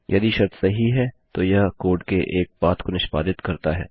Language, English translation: Hindi, If the condition is True, it executes one path of code